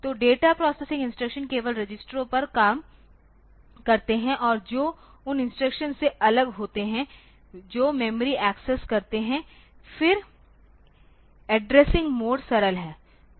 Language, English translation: Hindi, So, instructions that process data operate only on registers and that separate from instruction that access memory, then addressing modes are simple ok